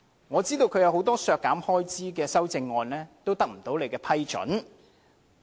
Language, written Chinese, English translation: Cantonese, 我知道他提出的很多項削減開支的修正案也不獲你批准。, I know that many of his proposed amendments on expenditure reduction have been disapproved by you